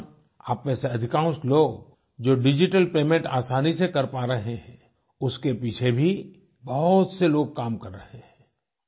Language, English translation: Hindi, During this time, many of you are able to make digital payments with ease, many people are working hard to facilitate that